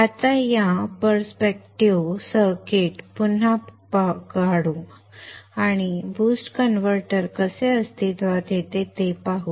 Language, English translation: Marathi, Now let us redraw the circuit in that perspective and see how a boost converter comes into being